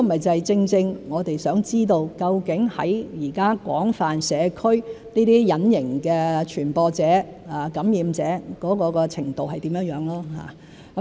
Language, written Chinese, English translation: Cantonese, 這正是我們想知道的——究竟現在廣泛社區，這些隱形的傳播者、感染者的程度是怎樣。, This is exactly what we want to know―to what extent asymptomatic spreaders and infection cases exist in the community at present